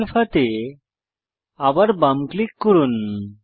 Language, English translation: Bengali, Left click Show Alpha